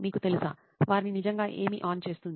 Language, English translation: Telugu, You know, what really turns them on